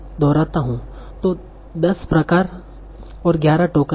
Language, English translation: Hindi, So there are 10 types and 11 tokens